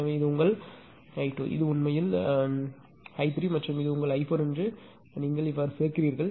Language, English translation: Tamil, So, you add it is this is your I 2; this is your I 3 and this is your I 4